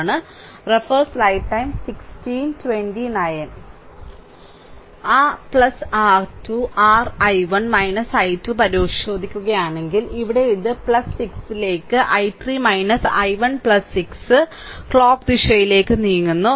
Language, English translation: Malayalam, So, plus if you look into that plus your 2 your i 1 minus i 2, here it is plus 6 into i 3 minus i 1 plus 6 moving clockwise